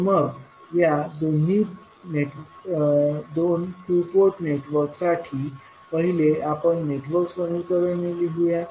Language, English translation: Marathi, So, let us write first the network equations for these two two port networks